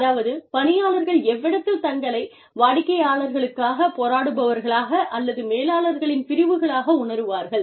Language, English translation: Tamil, Where the employees feel, whether they are advocates for the clients, or wards of managers